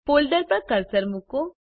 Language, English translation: Gujarati, Place the cursor on the folder